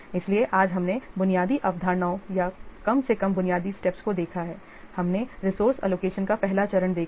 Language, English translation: Hindi, So today we have seen the basic concepts or the basic steps of the, at least we have seen the first step of resource allocation